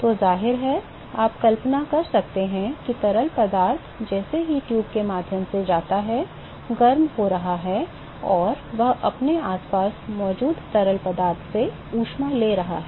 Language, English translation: Hindi, So, obviously, you could imagine that the fluid is being heated up as it goes through the tube and it is taking up heat from the fluid which is present around it